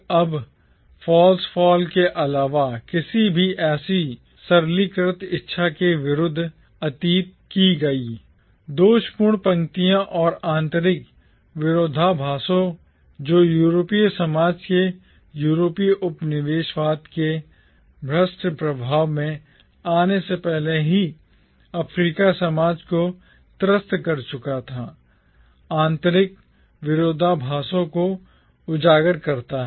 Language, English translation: Hindi, Now, Things Fall Apart cautions against any such simplistic desire to revert back to the past by revealing the many fault lines and internal contradictions that plagued the African society even before it came under the corrupting influence of the European colonialism